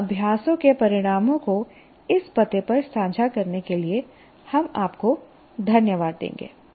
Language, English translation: Hindi, And we will thank you for sharing the results of these exercises at this address